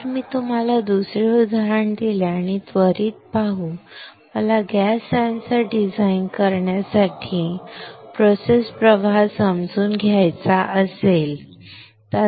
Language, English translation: Marathi, If I give you another example and quickly let us see: if I want to understand the process flow for designing a gas sensor